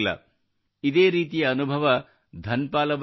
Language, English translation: Kannada, Something similar happened with Dhanpal ji